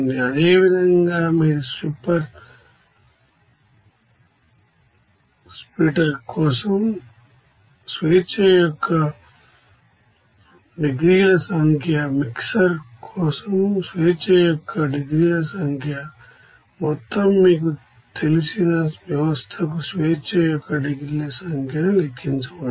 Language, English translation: Telugu, Similarly, you can calculate the number of degrees of freedom for stripper splitter, number of degrees of freedom for mixer, number of degrees of freedom for overall you know system